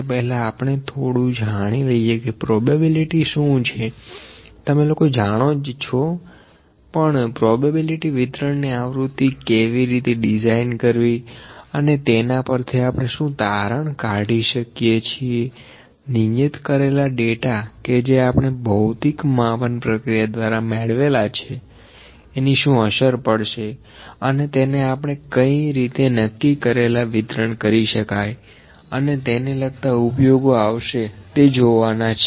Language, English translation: Gujarati, Before that, we will just look into what is probability you people also know what is probability, but how the frequency of probability distributions are designed and why and what can we extract from that what can what influence can be taken out of the fitting the data the specific data that we have obtained from measurements from the physical measurements how can we fit that into the specific distribution on which distribution has which kind of applications these things we will see